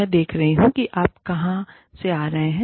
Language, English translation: Hindi, I see, where you are coming from